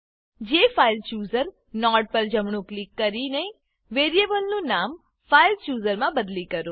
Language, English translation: Gujarati, Right click the JFileChooser node and rename the variable to fileChooser